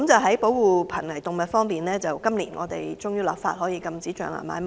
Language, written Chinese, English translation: Cantonese, 在保護瀕危動物方面，政府終於在今年落實立法禁止象牙買賣。, As for protection of endangered animals the Government finally set out to legislate for banning ivory trade during the year